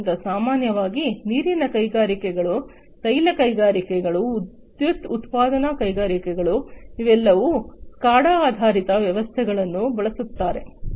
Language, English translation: Kannada, So, typically you know water industries, oil industries, power generation industries etc, they all use SCADA based systems